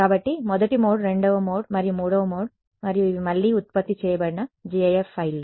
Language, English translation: Telugu, So, the first mode the second mode and the third mode and these are again gif files produced